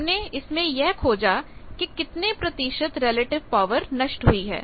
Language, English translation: Hindi, That we have found and then you can find the relative power lost